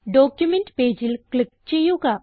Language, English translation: Malayalam, So lets click on the document page